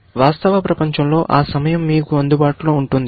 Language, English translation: Telugu, That time, in the real world is available to you